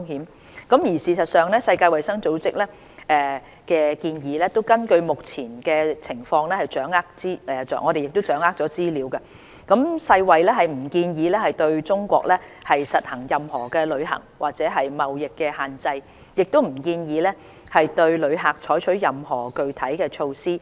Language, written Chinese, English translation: Cantonese, 事實上，根據我們目前掌握的資料，世界衞生組織檢視目前情況後，並不建議對中國實行任何旅行或貿易限制，亦不建議對旅客採取任何具體措施。, As a matter of fact based on the available information the World Health Organization WHO has advised against the application of any travel or trade restrictions on China and has not recommended any specific measures for travellers